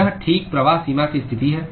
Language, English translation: Hindi, This is exactly the flux boundary condition